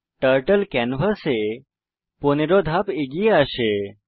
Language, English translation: Bengali, Turtle moves 15 steps forward on the canvas